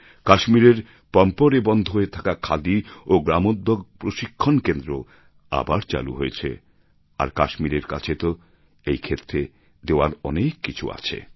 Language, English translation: Bengali, Khadi Gramodyog revived its training centre at Pampore in Kashmir and in this sector Kashmir has so much to offer